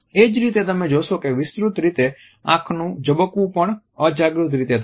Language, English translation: Gujarati, Similarly, you would find that extended blinking also occurs in an unconscious manner